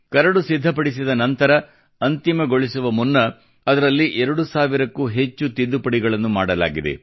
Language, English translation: Kannada, After readying the Draft, before the final structure shaped up, over 2000 Amendments were re incorporated in it